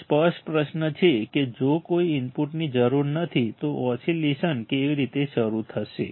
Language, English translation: Gujarati, The obvious question here is the obvious question here is that if no input is required if no input is required, how will oscillations start